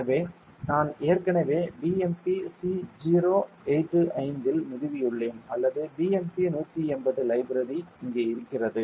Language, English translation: Tamil, So, I have already installed in BMP c 085 or BMP180 library is available here